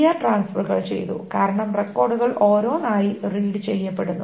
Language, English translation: Malayalam, There are BR transfers done because the records are red one by one